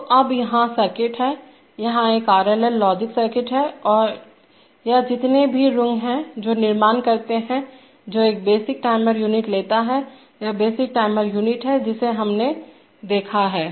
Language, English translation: Hindi, So now here is the circuit, here is a RLL logic circuit or as number of rungs which creates, which takes a basic timer unit, this is the basic timer unit that we have seen